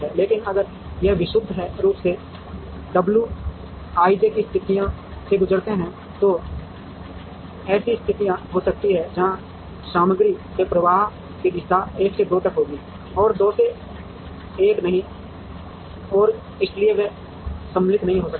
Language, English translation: Hindi, But, if we go purely by the w i j’s, there can be situations, where the direction of flow of material would be from 1 to 2 and not from 2 to 1 and therefore, they may not be symmetric